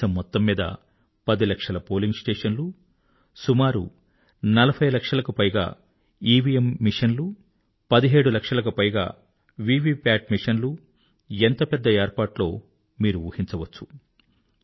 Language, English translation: Telugu, For the voting, there were around 10 lakh polling stations, more than 40 lakh EVM machines, over 17 lakh VVPAT machines… you can imagine the gargantuan task